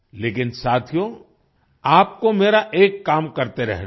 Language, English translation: Hindi, But, friends, you have to keep performing one task for me